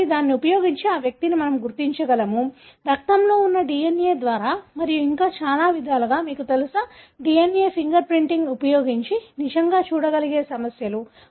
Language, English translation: Telugu, So, can we identify that individual using this, the DNA that is present in the blood and, and many such, you know, issues that one could really look at using DNA finger printing